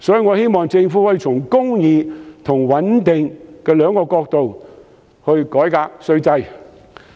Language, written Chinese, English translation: Cantonese, 我希望政府可以從公義和穩定兩個角度改革稅制。, I urge the Government to reform the tax regime based on the principles of fairness and stability